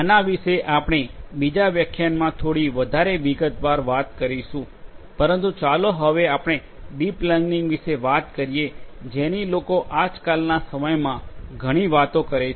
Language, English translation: Gujarati, We will talk about this in little bit more detail in another lecture, but let us now talk about deep learning which is another thing that people are talking about a lot in the present day